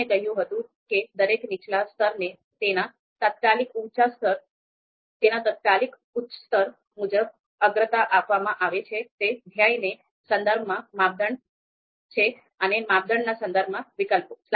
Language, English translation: Gujarati, So as I said each lower level is prioritized according to its immediate level upper level, so that is you know criteria with respect to goal and alternatives with respect to criterion